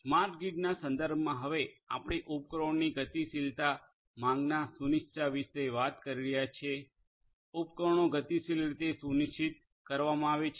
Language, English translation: Gujarati, In the context of smart grid now a days we are talking about dynamic demand scheduling of appliances dynamic scheduling of appliances, appliances dynamically will be scheduled